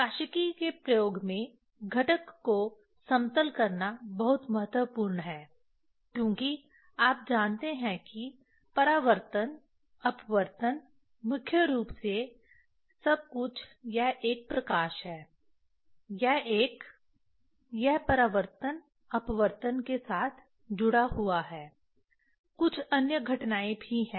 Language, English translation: Hindi, In optics experiment leveling of the component is very important because you know that reflection, refraction mainly everything it is a light, it is a, it is related with the reflection, refraction some other phenomena also there